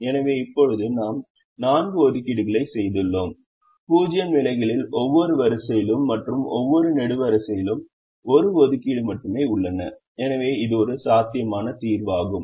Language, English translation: Tamil, we have made assignments only in the zero positions and every row and every column has one assignment and therefore this is a feasible solution